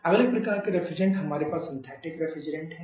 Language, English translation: Hindi, Next kind of refrigerants we have a synthetic refrigerants